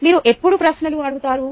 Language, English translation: Telugu, when have you asked questions